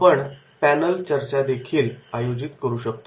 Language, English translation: Marathi, Then we can also organize the panel discussions